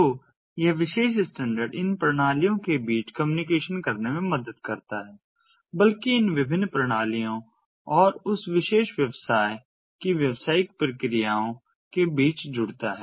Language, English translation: Hindi, so this particular standard helps in communicating between these systems, connecting, rather connecting between these different systems and the business processes of that particular business